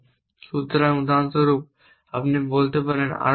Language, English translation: Bengali, So, for example, you might say send plus more